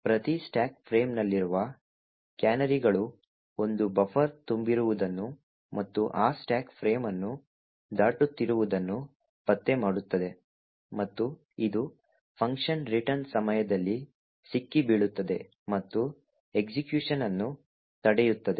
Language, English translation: Kannada, The canaries present in each stack frame would detect that a buffer is overflowing and crossing that particular stack frame, and this would be caught during the function return and the subversion of the execution is prevented